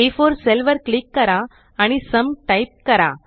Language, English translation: Marathi, Click on the cell A4 and type SUM